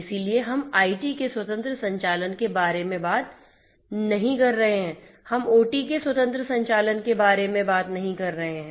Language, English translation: Hindi, So, we are not talking about independent operation of IT, we are not talking about independent operation of OT